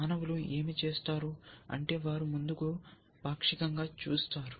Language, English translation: Telugu, What humans do is that we do a partial look ahead